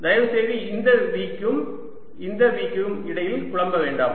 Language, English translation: Tamil, please do not confuse between this v and this v